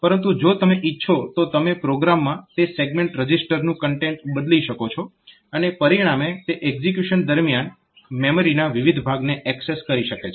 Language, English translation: Gujarati, But if you want, so you can change the content of those segment registers in the program as a result it can access different regions of the program different regions of the memory during execution